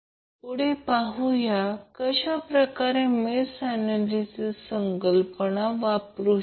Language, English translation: Marathi, Next we see how we will utilize the concept of mesh analysis